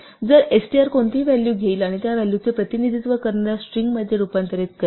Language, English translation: Marathi, So, str will take any value and convert it to a string representing that value